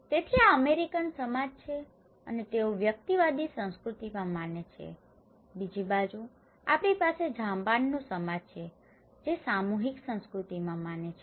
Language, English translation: Gujarati, So, this is American society and they believe in individualistic culture, on the other hand, we have Japanese society which is more in collective culture